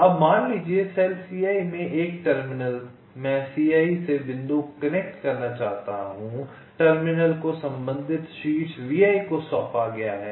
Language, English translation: Hindi, right now a terminal in cell c i suppose i want to connect ah point from c i, the terminal is assigned to the corresponding vertex v i